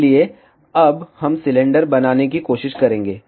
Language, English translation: Hindi, So, now we will try to make the cylinder